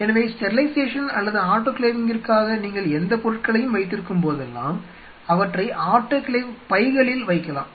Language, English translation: Tamil, So, whenever you are keeping anything for a sterilization or autoclaving you put them in an autoclave pouches, their pouches which are available